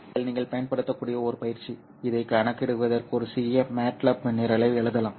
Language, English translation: Tamil, Here is an exercise which you can use, you can actually write a small MATLAB program to compute this one